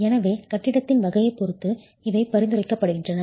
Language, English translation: Tamil, So these are prescribed depending on the category of the building